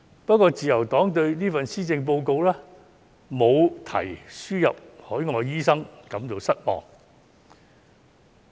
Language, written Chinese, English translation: Cantonese, 不過，自由黨對這份施政報告沒有提及輸入海外醫生感到失望。, However the Liberal Party is disappointed that the importation of overseas doctors has not been mentioned in the Policy Address